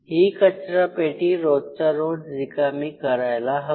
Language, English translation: Marathi, So, you should have a trash which we should be clean everyday